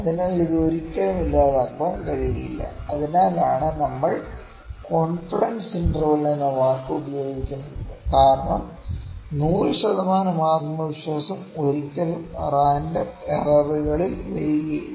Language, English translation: Malayalam, So, it can never be eliminated, that is why we use the word confidence intervals, because 100 percent confidence would never come in random kind of errors